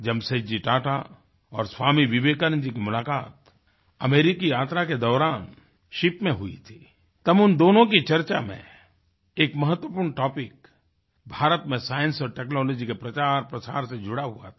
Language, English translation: Hindi, On a voyage to America, Jamsetji Tata met Swami Vivekananda on the ship, and an important topic of their discussion was the outreach & spread of Science & Technology in India